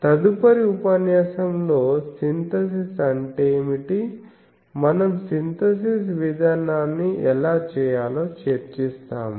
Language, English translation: Telugu, The next lecture, we will go to that what is the synthesis, how to do the attempt the synthesis procedure that we will discuss